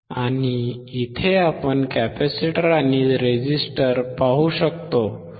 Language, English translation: Marathi, And here we can see the capacitor and the resistor